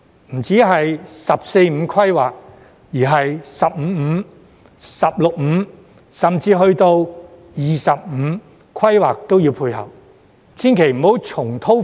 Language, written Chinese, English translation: Cantonese, 不單是"十四五"規劃，而是"十五五"、"十六五"，甚至是"二十五"規劃都要配合。, They must not only tie in with the 14th Five - Year Plan but also the 15th Five - Year Plan the 16th Five - Year Plan or even the 20th Five - Year Plan